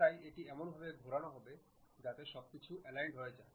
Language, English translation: Bengali, So, it will be rotated in such a way that everything will be aligned